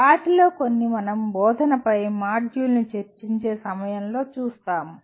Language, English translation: Telugu, Some of them we will be looking at during the module on instruction